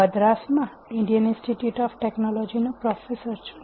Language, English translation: Gujarati, I am a professor in the Indian Institute of Technology at Madras